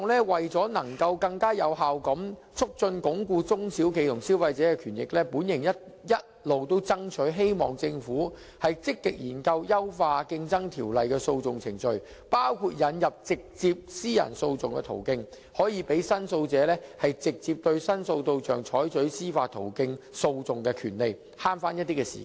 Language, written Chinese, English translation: Cantonese, 為更有效鞏固中小企及消費者的權益，我一直向政府爭取積極研究優化《競爭條例》的訴訟程序，包括引入直接私人訴訟的途徑，讓申訴者直接對申訴對象採取司法途徑訴訟的權利，以節省時間。, This is a time - consuming process . For the purpose of reinforcing the rights and interests of SMEs and consumers more effectively I have all along urged the Government to actively study the enhancement of the litigation proceedings under the Competition Ordinance including the addition of the direct approach of private litigation . This can give the complainant the right to bring judicial proceedings directly against his litigation target and save his time